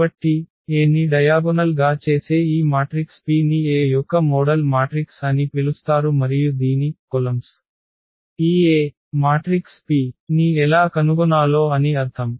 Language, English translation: Telugu, So, just a note here that this matrix P which diagonalizes A is called the model matrix of A and whose columns, I mean the point is how to find this A matrix P